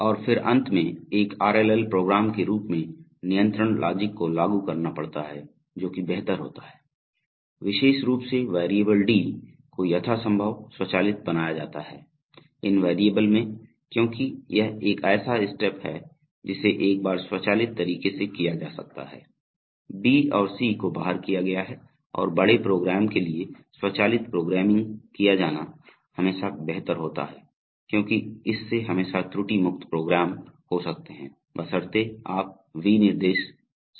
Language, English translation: Hindi, And then finally one has to implement the control logic in the form of an RLL program and it is preferable that these steps especially the step D is made as much as possible automatic, because this is a step which can be done in an automated manner once B and C have been carried out and for large programs it is always preferable to go for automatic programming because that will always lead to error free programs provided your specifications were correct